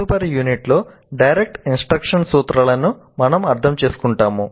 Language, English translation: Telugu, And in the next unit we will understand the principles of direct instruction